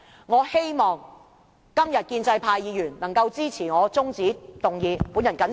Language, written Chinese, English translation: Cantonese, 我希望今天建制派議員能夠支持這項中止待續議案。, I hope that pro - establishment Members can support this adjournment motion today